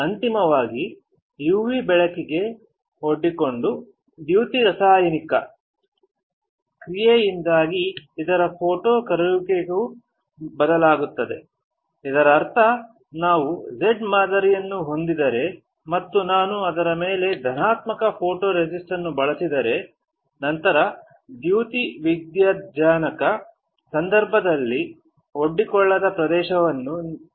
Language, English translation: Kannada, Finally, it changes photo solubility due to photochemical reaction exposed to UV light; that means, if we have a pattern which is Z and I use positive photoresist on it, then on the wafer the area which is not exposed will be protected in case of photoresist